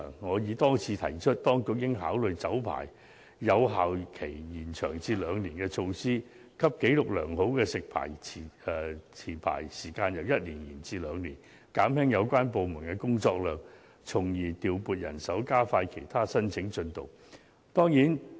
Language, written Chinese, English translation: Cantonese, 我已多次提出，當局應考慮把酒牌有效期延長至兩年，讓紀錄良好的食牌持牌時間由1年延長至兩年，減輕有關部門的工作量，從而調配人手，加快其他申請進度。, I have repeatedly pointed out that in order to alleviate the workload of relevant departments the authorities should consider extending the validity period of liquor licences to two years and allowing food licence holders with satisfactory records to have their licences extended from one year to two years . In doing so the relevant departments should be able to deploy manpower to speed up the processing of other applications